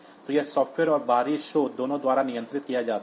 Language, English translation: Hindi, So, it is both by software and external source